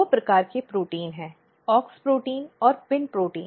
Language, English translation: Hindi, So, basically there are two kinds of protein AUX protein and PIN protein